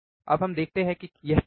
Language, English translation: Hindi, Now let us see what is it